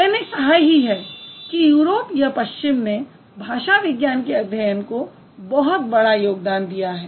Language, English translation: Hindi, And when Europe, when I just said Europe contributed a lot or the West contributed a lot to the study of linguistics